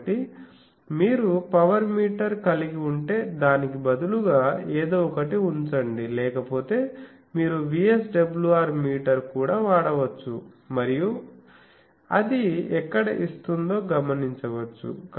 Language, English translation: Telugu, So, there you put something actually instead of a if you have a power meter you can use otherwise you may VSWR meter also you can put and note where it is giving the thing